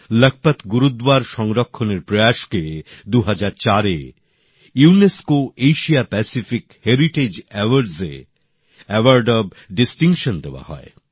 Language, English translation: Bengali, The restoration efforts of Lakhpat Gurudwara were honored with the Award of Distinction by the UNESCO Asia Pacific Heritage Award in 2004